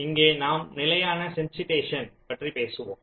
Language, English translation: Tamil, so here we talk about something called static sensitization